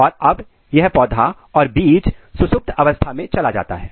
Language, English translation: Hindi, Now this plant this seed is under dormancy stage